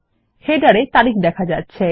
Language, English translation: Bengali, The date is displayed in the header